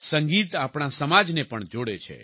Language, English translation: Gujarati, Music also connects our society